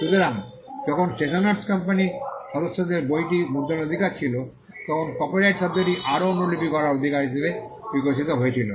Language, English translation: Bengali, So, when the members of the stationer’s company had the right to print the book, the word copyright evolved as a right to make further copies